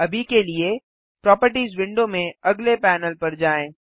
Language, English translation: Hindi, For now, lets move on to the next panel in the Properties window